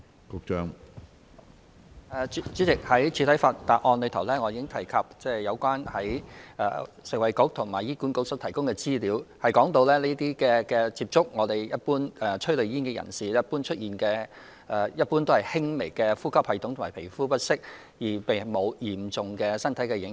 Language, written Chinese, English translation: Cantonese, 主席，我在主體答覆已經提及食衞局和醫管局提供的資料指出，接觸催淚煙的人士一般會出現輕微的呼吸系統和皮膚不適，但對身體並沒有嚴重的影響。, President I have already mentioned in my main reply that according to the information provided by the Food and Health Bureau and HA persons exposed to tear gas would generally experience mild respiratory and skin irritation and there was also no serious health impact to the body